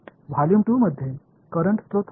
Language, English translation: Marathi, In volume 2, was there any current source